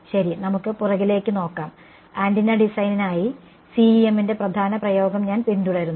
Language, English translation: Malayalam, Right so, let us have a look at the back and I follow the major application of CEM for antenna design right